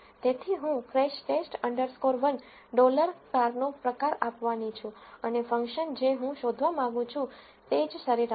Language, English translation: Gujarati, So, I am going to give crashTest underscore 1 dollar car type and the function I want to find is the mean